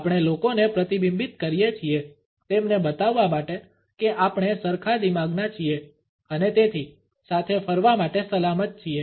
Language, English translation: Gujarati, We mirror people to show them that we are like minded and therefore, safe to hang out with